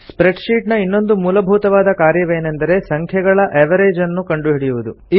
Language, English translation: Kannada, Another basic operation in a spreadsheet is finding the Average of numbers